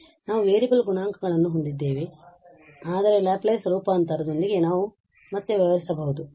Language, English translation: Kannada, So, we have the variable coefficients, but we can deal again with the Laplace transform